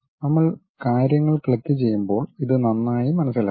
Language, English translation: Malayalam, When we are opening clicking the things we will better understand these things